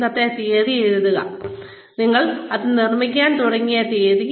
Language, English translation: Malayalam, Put down, today's date, the date on which, you start making this